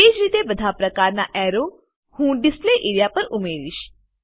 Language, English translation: Gujarati, Likewise I will add other types of arrows to the Display area